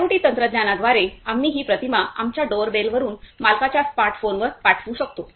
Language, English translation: Marathi, Through IoT technologies, we can send that image from our doorbell to the owner’s smart phone